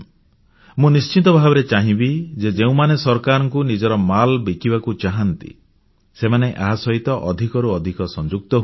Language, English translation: Odia, I would certainly like that whoever wishes to sell their products or business items to the government, should increasingly get connected with this website